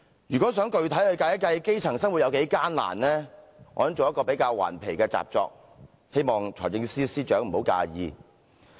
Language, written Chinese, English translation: Cantonese, 如果想具體地計算基層生活有多艱難，我也做了一份比較頑皮的習作，希望財政司司長不要介意。, In order to gauge in a concrete way how tough the lives of these grass - roots are I have done a rather mischievous exercise and hope the Financial Secretary will not be offended